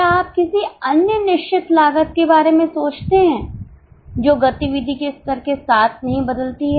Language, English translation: Hindi, Do you think of any other fixed cost which does not change with level of activity